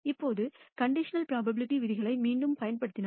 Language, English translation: Tamil, Now, if you apply again the rules of conditional probability